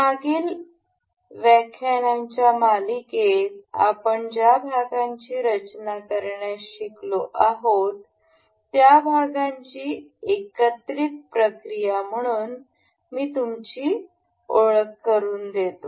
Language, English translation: Marathi, I shall introduce you with the assembling process of the parts that we have already learned to design in the previous series of lectures